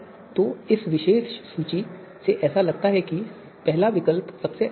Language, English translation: Hindi, So from this particular list it seems that the first alternative is the best one